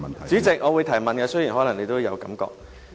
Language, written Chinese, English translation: Cantonese, 主席，我會提問，雖然你可能有這感覺。, President I may have given you this impression but anyway I will raise my question